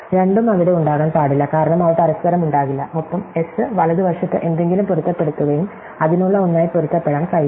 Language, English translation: Malayalam, So, both cannot be there, because they do not equal each other and S match it something on the right and a cannot match as something for it